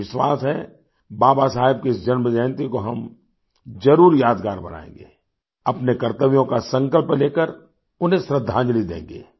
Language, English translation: Hindi, I am sure that we will make this birth anniversary of Babasaheb a memorable one by taking a resolve of our duties and thus paying tribute to him